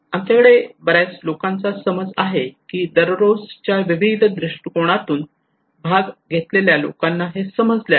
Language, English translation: Marathi, We have a lot of understanding of that various people understood participations from daily various perspective